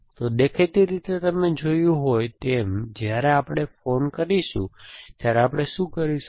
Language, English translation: Gujarati, So, obviously as you saw, when we call, what will we do